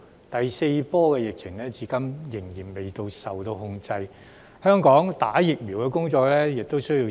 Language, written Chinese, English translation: Cantonese, 第四波疫情至今仍未受控，香港疫苗接種工作亦需時。, The fourth wave of the epidemic has not yet been under control and the vaccination work in Hong Kong takes time